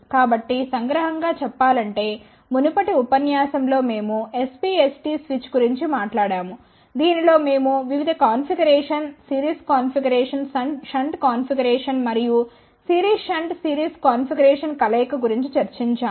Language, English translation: Telugu, So, just to summarize in the previous lecture we had talked about SPST switch in that we had discussed about various configuration, series configuration, shunt configuration, and combination of series shunt series configuration